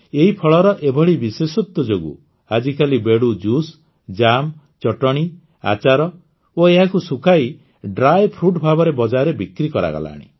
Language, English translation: Odia, In view of these qualities of this fruit, now the juice of Bedu, jams, chutneys, pickles and dry fruits prepared by drying them have been launched in the market